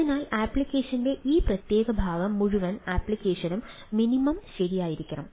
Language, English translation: Malayalam, so, uh, this particular portion of the application, the whole application, should be minimum, right